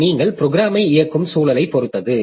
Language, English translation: Tamil, And also it depends on the environment in which you are running the program